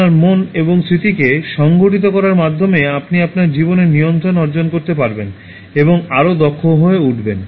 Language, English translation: Bengali, By organizing your mind and memory, you will gain control of your life and become more efficient